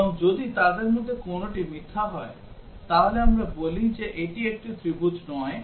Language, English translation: Bengali, And if any one of them is false, then we say that it is not a triangle